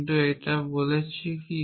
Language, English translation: Bengali, What does it do